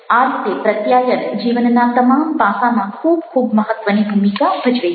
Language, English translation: Gujarati, so, in a way, communication is playing very, very important role in all aspects of life